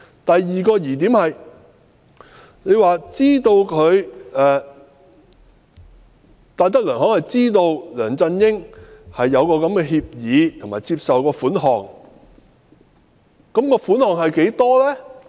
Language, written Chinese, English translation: Cantonese, 第二個疑點是，律政司指戴德梁行知悉梁振英簽訂了該項協議和接受款項，但款項的金額是多少呢？, Then comes the second doubtful point . DoJ asserted that DTZ had knowledge of LEUNG Chung - ying entering into that agreement and accepting money but what was the amount?